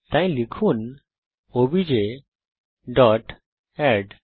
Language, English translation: Bengali, So type obj dot add